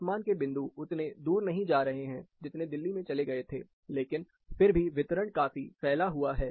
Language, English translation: Hindi, The temperature points are not going as far, as it went in Delhi, but still the distribution is quite wider